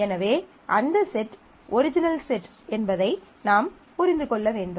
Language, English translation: Tamil, So, you need to understand whether that set implies the original set